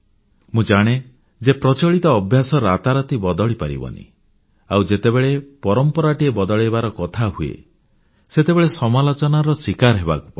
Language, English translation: Odia, I know that these habits do not change overnight, and when we talk about it, we invite criticism